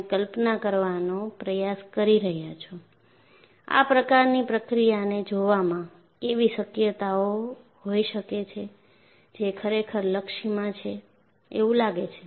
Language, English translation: Gujarati, So, you are trying to visualize, what could be the possibility in looking at this kind of a process that is what we are really aiming at